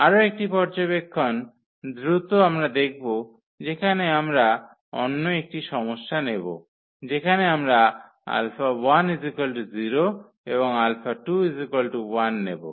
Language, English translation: Bengali, One more observation quickly we will have now we will take another case where we will choose this alpha 2 v 1 and this alpha 1 to be 0